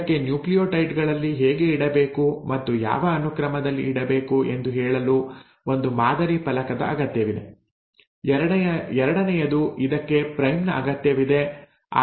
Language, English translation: Kannada, It needs, one it needs a template to tell how to put in and in what sequence to put in the nucleotides, the second is it requires a primer